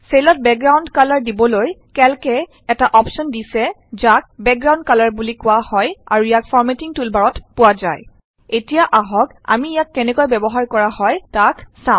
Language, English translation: Assamese, In order to give background colors to cells, Calc provides an option called Background Color, located in the Formatting toolbar